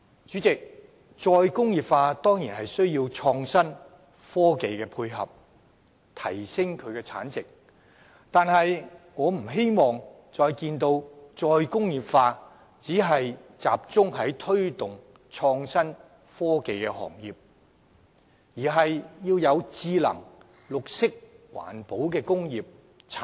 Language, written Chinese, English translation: Cantonese, 主席，"再工業化"固然需要創新和科技配合，從而提升產值，但我不希望看到"再工業化"只是再次集中於推動創新和科技行業，而是應該同時發展智能、綠色環保工業和產業。, President re - industrialization will certainly require the support of innovation and technology in enhancing product value . Yet I do not wish to see re - industrialization focusing on the promotion of innovation and technology industries only . The Government should develop smart and environmental industries as well